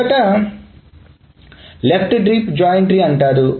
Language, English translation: Telugu, So the first one is called a left deep joint tree